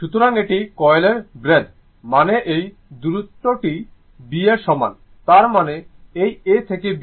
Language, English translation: Bengali, So, this breadth of this coil that means this distance is equal to B; that means, this A to B right